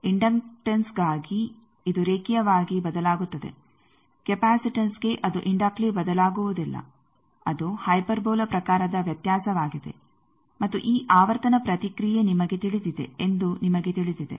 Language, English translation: Kannada, So, for inductance it is linearly varying for capacitance it varies not inductly, it is a hyperbola type of variation and you know this this this frequency response is known